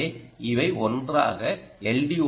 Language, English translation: Tamil, so it can be an l